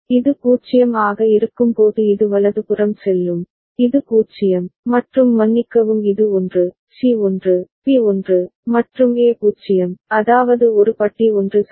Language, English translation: Tamil, And this will go high right when this is 0, this is 0, and A is sorry this is 1, C is 1, B is 1, and A is 0, that is A bar is 1 ok